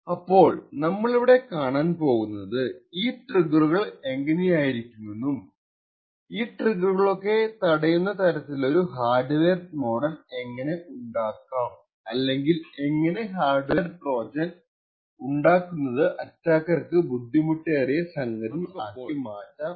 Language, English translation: Malayalam, So, what we will see in this particular video lecture is how each of these triggers will look and how we can design our hardware modules so as to prevent these triggers or make it difficult for an attacker to build hardware Trojans with this mechanisms